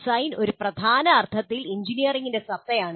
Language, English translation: Malayalam, Design in a major sense is the essence of engineering